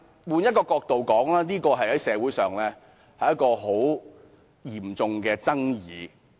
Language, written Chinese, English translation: Cantonese, 換一個角度看，這方案在社會引起嚴重爭議。, From another perspective this proposal has stirred up great controversy in society